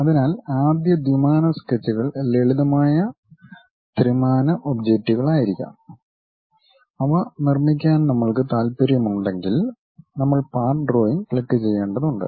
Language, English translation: Malayalam, So, first 2D sketches may be simple 3D objects which are one unique objects if we are interested to construct, we have to click part drawing